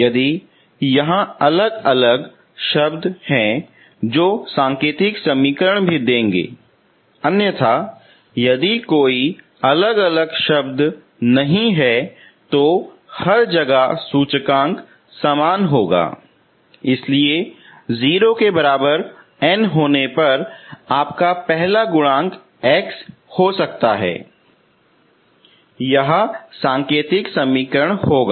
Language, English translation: Hindi, If you have isolated terms that will also give indicial equation otherwise if no isolated terms so everywhere index is same, so you can have the first first when n equal to 0, first x coefficient that will be the indicial equation